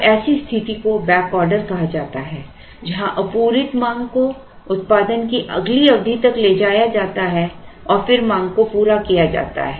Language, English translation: Hindi, Now, such a situation is called back order where the unmet demand is carried to the next period produced and then the demand is met